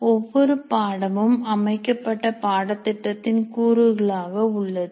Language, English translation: Tamil, And every course belongs to a designated curricular component